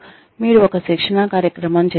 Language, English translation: Telugu, You made a training program